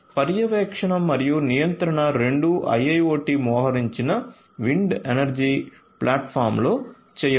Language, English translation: Telugu, So, both monitoring as well as control could be done in an IIoT deployed wind energy platform